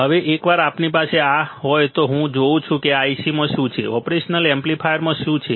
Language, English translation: Gujarati, Now, once we have this I see what is there within this IC, what is there within the operation amplifier